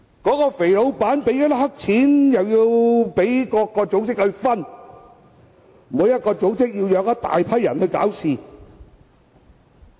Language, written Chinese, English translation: Cantonese, 那位"肥老闆"支付黑錢予各組織，然後各組織便"養"一大批人來搞事。, That fatty boss has offered black money to various organizations which in turn nurture a large group of people to stir up troubles